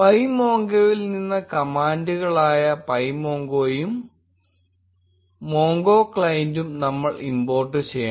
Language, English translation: Malayalam, We have two import commands, pymongo, and MongoClient from pymongo